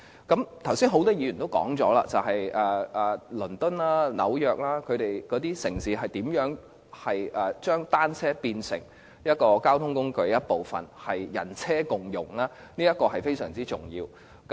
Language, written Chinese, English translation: Cantonese, 剛才很多議員也談到倫敦和紐約這些城市如何將單車變成一種交通工具，達致人車共融，這是非常重要的。, Just now many Members talked about how bicycles are turned into a mode of transport to achieve harmony between people and bicycles in such cities as London and New York . This is very important indeed